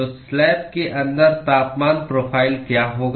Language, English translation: Hindi, So, what will be the temperature profile inside the slab